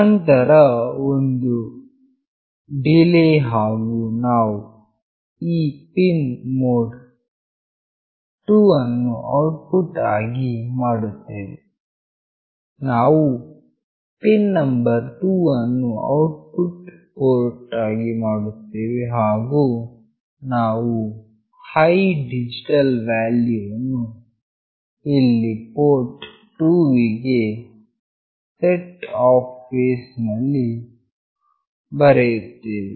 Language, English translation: Kannada, Then there is a delay, and we are making the pinMode 2 to output, we are making pin number 2 as an output port and we are writing high digital value here in port 2 in the setup phase